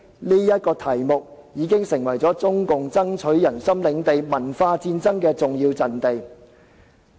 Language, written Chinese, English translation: Cantonese, 這個題目已經成為中共爭取人心領地文化戰爭的重要陣地。, This topic has become an important battlefield for CPCs cultural warfare to win the hearts of the people